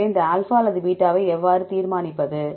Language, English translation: Tamil, So, and then how to decide these alpha or beta